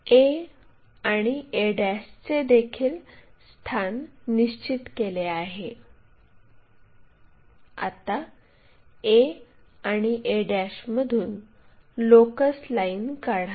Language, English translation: Marathi, So, a is also located a and a ', draw locus lines from a and a '